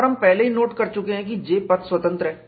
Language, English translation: Hindi, And we have already noted that, J is path independent